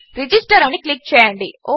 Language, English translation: Telugu, Lets click in register